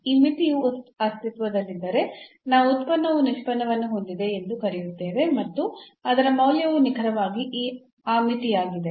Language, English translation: Kannada, So, if this limit exists we call the function has the derivative and its value is exactly that limit